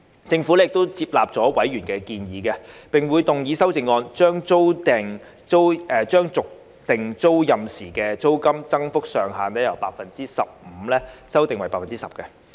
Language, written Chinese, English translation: Cantonese, 政府亦接納委員的建議，並會動議修正案，將續訂租賃時的租金增幅上限，由 15% 修訂為 10%。, The Administration has taken on board members proposal and will propose an amendment to revise the cap on rent increase upon tenancy renewal from 15 % to 10 %